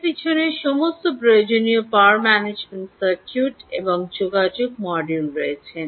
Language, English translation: Bengali, behind these are all the required power management circuits and the communication module